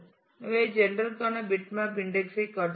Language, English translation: Tamil, So, we are showing bitmap index for gender